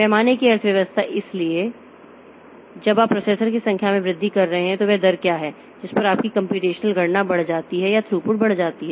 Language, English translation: Hindi, Economy of scale, so as you are increasing the number of processors then how what is the rate at which your computational computation increases or the throughput increases